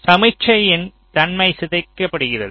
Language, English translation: Tamil, ok, the nature of the signal gets deformed